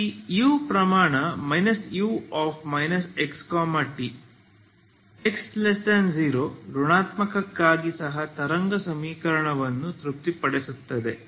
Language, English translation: Kannada, So U this quantity for X negative is also satisfying wave equation ok